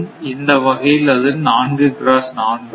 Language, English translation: Tamil, So, it will 3 by 10 that is equal to 0